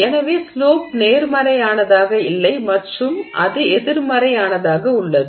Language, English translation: Tamil, So, the slope is no longer positive, the slope is negative